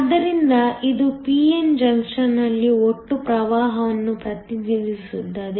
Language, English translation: Kannada, So, this represents the total current in a p n junction